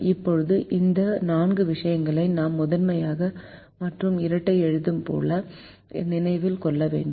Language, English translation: Tamil, now these four things we need to remember when we write the primal and the dual